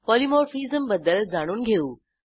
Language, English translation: Marathi, In this tutorial, we learnt Polymorphism